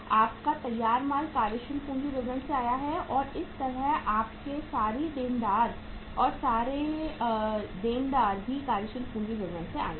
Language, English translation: Hindi, Your finished goods have come from the working capital statement and similarly, your sundry debtors have also come from the sundry debtors uh sorry working capital statement